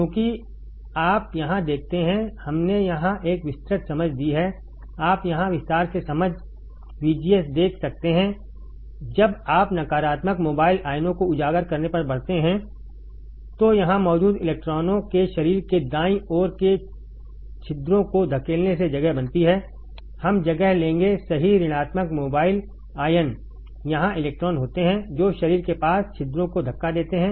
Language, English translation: Hindi, Because you see here, we have given a detail understanding here you can see the detail understanding, VGS when you increase on uncovering of negative mobile ions take place by pushing holes near the body right uncovering of the electrons that is here, we will take place right negative mobile ions is here electrons by pushing holes near the body